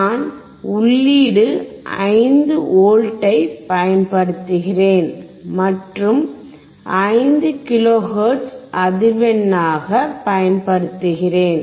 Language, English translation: Tamil, I am applying 5V as input and applying 5 kilo hertz as a frequency